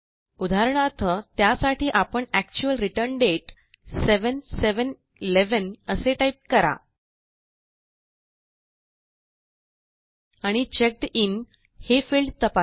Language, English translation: Marathi, For this, we will type in the actual return date, for example 7/7/11 And check the Checked In field